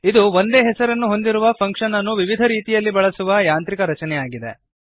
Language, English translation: Kannada, It is the mechanism to use a function with same name in different ways